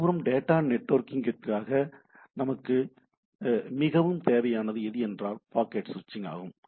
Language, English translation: Tamil, On the other hand, which is our primary interest for our data network is the packet switching